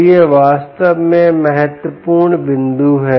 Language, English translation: Hindi, so thats, thats really the key point